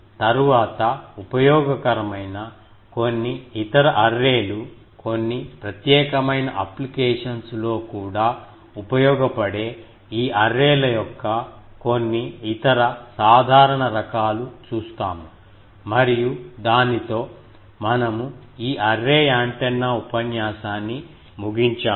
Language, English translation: Telugu, In the next, will see that some other arrays which are useful, some other very simple type of this arrays which are also useful in some particular applications and with that, we end this array antenna lecture